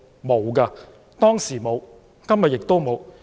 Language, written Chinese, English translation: Cantonese, 沒有，當時沒有，今天亦沒有。, No intervention was not made at that time and at present